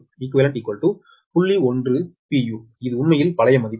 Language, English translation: Tamil, this is actually old value